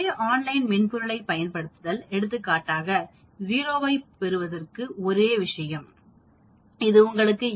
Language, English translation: Tamil, Using the same online software, for example same thing for getting 0, it gives you 81 percent or 82 percent